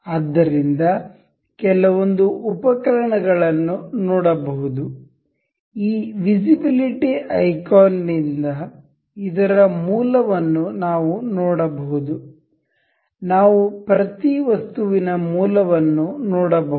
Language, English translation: Kannada, So, there are some tools to see this visibility icon, we can see the origin of this, origin of each of the items, we can see origin of each items